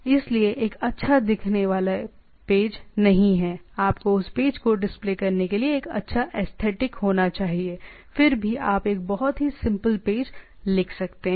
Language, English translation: Hindi, So, not a good looking page, you need to have a good aesthetic of having that page to be displayed nevertheless you can write a very simple page just like that right